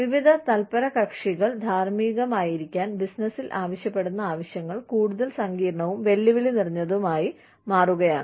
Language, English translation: Malayalam, The demands, being placed on business to be ethical, by various stakeholders, are constantly becoming, more complex and challenging